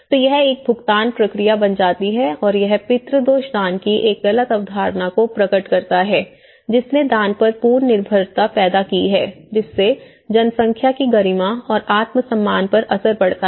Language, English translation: Hindi, So, it becomes a paid process and this paternalism reveals a mistaken concept of charity, which has created an absolute dependence on donations, affecting the population’s dignity and self esteem